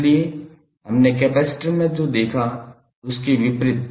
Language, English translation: Hindi, So, opposite to what we saw in the capacitor